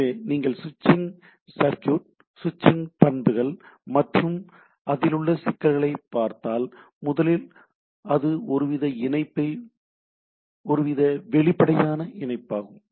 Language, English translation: Tamil, So, if you look at the switching circuit switching properties and issues, first of all once connected, it is some sort of a transparent, right